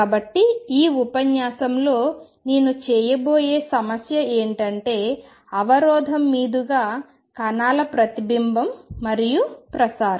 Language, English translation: Telugu, So, the problem I am going to tangle in this lecture is the reflection and transmission of particles across a barrier